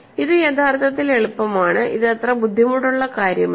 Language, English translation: Malayalam, So, this is easy actually, this is not that difficult